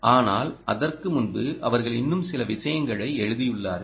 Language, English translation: Tamil, but before that they wrote a few more things